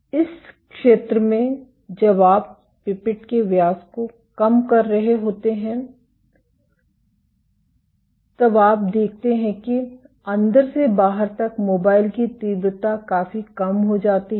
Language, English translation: Hindi, In this zone when you are drawing reducing the pipette diameter then you see that the mobile intensity int inside to outside drops significantly